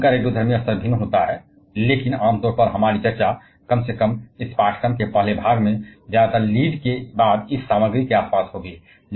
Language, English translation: Hindi, Of course, their radioactive level varies, but generally our discussion, at least in the first part of this course will mostly be around mostly be around this materials after Lead